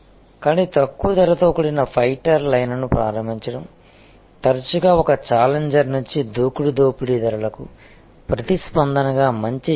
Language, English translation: Telugu, But, this launching a low price fighter line is often a good strategy in response to an aggressive predatory pricing from a challenger